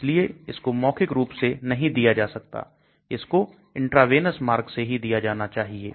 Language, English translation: Hindi, So it is not given orally, it has to be given through intravenous